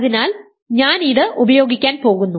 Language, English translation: Malayalam, So, I am going to use this